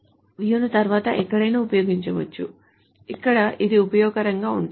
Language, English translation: Telugu, So this view can be later used anywhere where this is useful